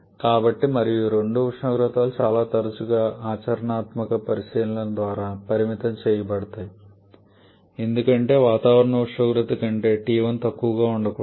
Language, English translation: Telugu, So, and these 2 temperatures are quite often limited by the practical considerations because t1 cannot be lower than atmospheric temperature